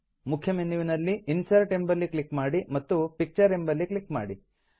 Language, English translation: Kannada, Click on Insert from the Main menu and then click on Picture